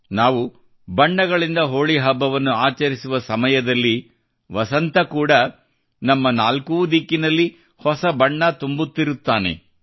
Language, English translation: Kannada, When we are celebrating Holi with colors, at the same time, even spring spreads new colours all around us